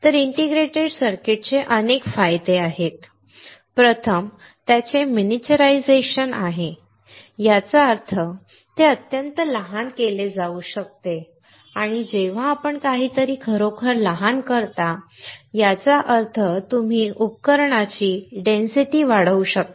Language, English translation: Marathi, So, let us see integrated circuits have several advantages, first is its miniaturization; that means, it can be made extremely small and when you make something really small; that means, you can increase the equipment density